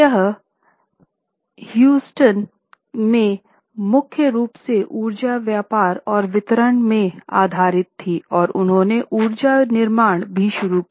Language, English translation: Hindi, It was based in Houston mainly into energy trading and distribution and they had also started energy manufacturing